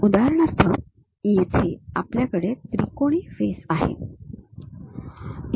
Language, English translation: Marathi, For example, here we have a triangular face